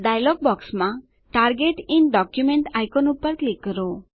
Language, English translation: Gujarati, Click on the Target in document icon in the dialog box